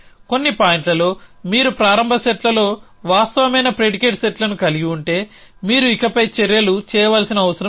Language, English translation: Telugu, If at some points you have set of predicate which are true in a starts set that you do not have to do any more actions